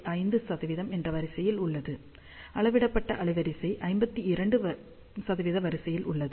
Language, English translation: Tamil, 5 percent at measured bandwidth is of the order of 52 percent